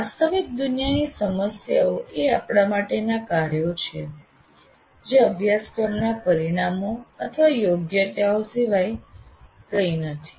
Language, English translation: Gujarati, Now we are saying that real world problems are tasks for us are nothing but course outcomes or competencies